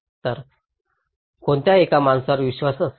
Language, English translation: Marathi, So, which one people will believe